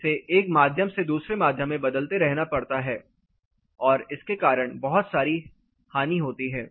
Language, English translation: Hindi, Alternately it has to keep transferring from one medium to the other medium and there are lots of losses because of this